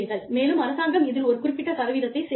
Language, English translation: Tamil, And, the government, matches a percentage of it